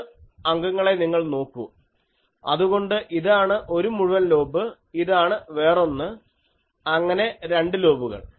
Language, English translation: Malayalam, You see three element, so this is one full lobe; this is one, so two lobes